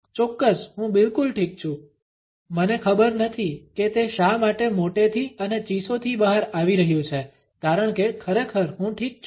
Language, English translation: Gujarati, Absolutely I am fine totally fine I do not know why it is coming out all loud and squeaky because really I am fine